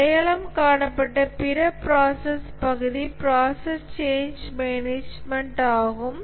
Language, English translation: Tamil, The other process area that is identified is process change management